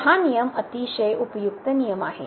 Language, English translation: Marathi, So, this rule is a very useful rule